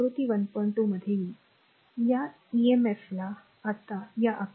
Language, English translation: Marathi, 2 will come, this emf now this figure 1